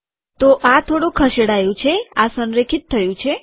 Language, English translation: Gujarati, So this has been shifted, this has been aligned